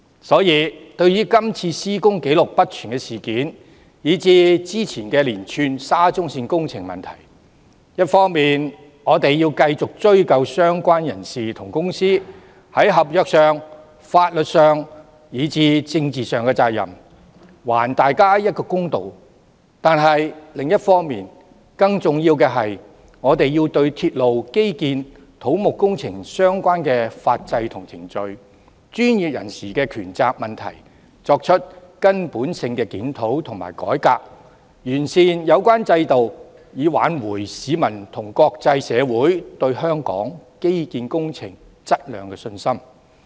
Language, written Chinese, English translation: Cantonese, 所以，對於今次施工紀錄不全的事件，以至之前的連串沙中線工程問題，我們一方面要繼續追究相關人士和公司在合約、法律和政治上的責任，還大家一個公道；另一方面，更重要的是我們要對鐵路、基建、土木工程相關的法制和程序及專業人士的權責問題作根本的檢討和改革，從而完善有關制度，以挽回市民和國際社會對香港基建工程質量的信心。, Hence in respect of this incident of incomplete construction documentation and the series of problems of the SCL project revealed earlier on the one hand we should continue to affix the contractual legal and political responsibilities of the persons and companies concerned so as to do justice to the public . More importantly we should on the other hand conduct a fundamental review and reform of the legal system and procedures relating to railway infrastructural and civil engineering projects as well as the rights and responsibilities of professionals so as to perfect the relevant regimes with a view to restoring the confidence of members of the public and the international community in the quality of infrastructural works in Hong Kong